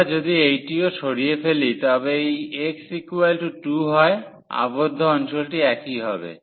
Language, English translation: Bengali, So, even if we remove also this x is equal to 2 the region enclosed will be the same